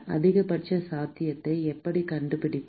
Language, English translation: Tamil, How can we find the maximum possible